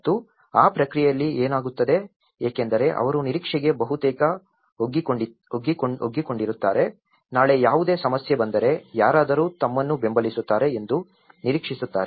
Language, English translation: Kannada, And in that process, what happens is they almost accustomed to kind of begging, tomorrow any problem comes they are expecting someone will support them